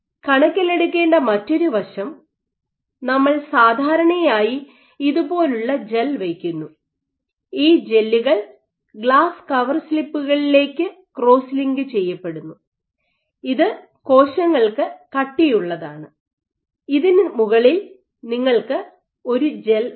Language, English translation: Malayalam, So, another aspect which has to be taking into consideration, so we generally draw the gel like this and these gels are typically cross linked onto glass coverslips which is rigid for the cells and on top of this you have a gel